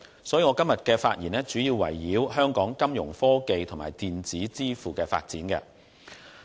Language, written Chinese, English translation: Cantonese, 所以，我今天的發言主要圍繞香港金融科技和電子支付的發展。, Hence my speech today will focus mainly on the development of Fintech and electronic payment in Hong Kong